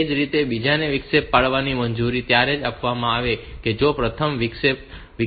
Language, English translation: Gujarati, Similarly the second one will be allowed to interrupt only if the first one has not generated any interrupt